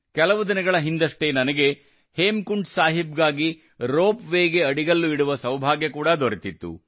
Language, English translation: Kannada, A few days ago I also got the privilege of laying the foundation stone of the ropeway for Hemkund Sahib